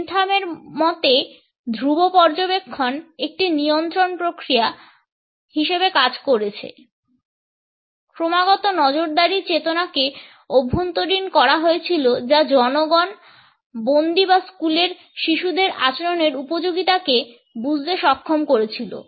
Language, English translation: Bengali, The constant observation according to Bentham acted as a control mechanism; a consciousness of constant surveillance was internalized, which enabled the people, the prisoners or the school children for that matter to understand the propriety of behaviour